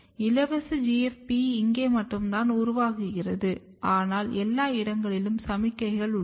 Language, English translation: Tamil, And what you can see here that if you produce free GFP here, but you see signal everywhere